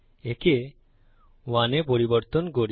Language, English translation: Bengali, Lets change this to 1